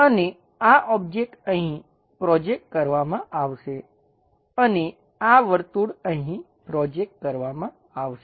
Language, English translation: Gujarati, And this object will be projected here and this circle will be projected here